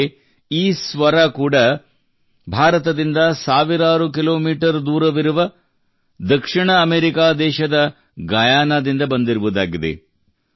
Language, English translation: Kannada, But these notes have reached you from Guyana, a South American country thousands of miles away from India